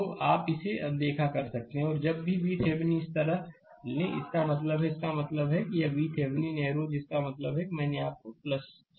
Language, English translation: Hindi, So, you can ignore this and whenever we take V Thevenin your like this; that means, that means this is your V Thevenin arrow means I told you plus